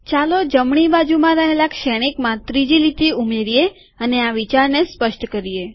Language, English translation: Gujarati, Let us add a third line to the matrix on the right hand side and illustrate this idea